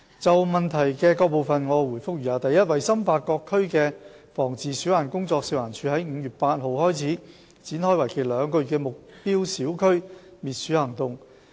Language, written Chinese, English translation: Cantonese, 就質詢的各部分，我答覆如下：一為深化各區的防治鼠患工作，食環署已在5月8日起展開為期兩個月的目標小區滅鼠行動。, My reply to the various parts of the question is as follows 1 To further the rodent control work in respective districts FEHD has since 8 May commenced anti - rodent operations in targeted areas which would last for two months